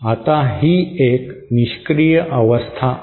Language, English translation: Marathi, Now this is a passive stage